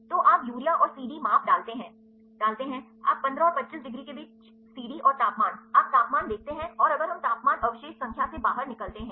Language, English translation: Hindi, So, you put the urea and the CD measurement you put the CD and the temperature between 15 and 25 degrees, you see the temperature and, if we start out by temperature residue number